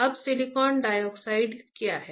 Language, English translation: Hindi, Now what is silicon dioxide